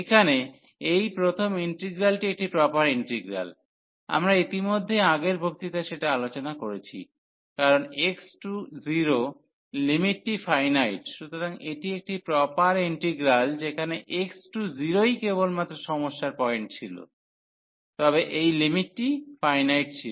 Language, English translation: Bengali, And this the first integral here is a proper integral, we have discussed already in the last lecture, because this limit as x approaches to 0 is finite; so this is a proper integral where that was the only problematic point as x approaching to 0, but this limit is finite